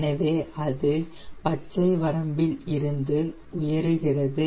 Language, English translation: Tamil, it is just starting in the green range